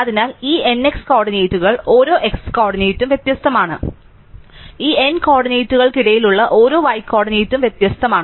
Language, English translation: Malayalam, So, every x coordinate among these n x coordinates is different, every y coordinate among these n coordinates is different